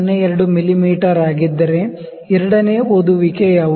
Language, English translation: Kannada, 02 mm what will be the second reading